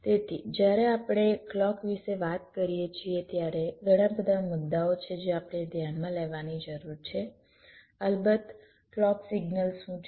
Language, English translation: Gujarati, so when we talk about clock, there are a number of issues that we need to consider, of course